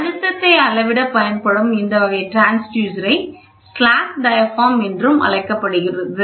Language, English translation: Tamil, This type of transducer which is used to measure pressure is known as slack diaphragm, ok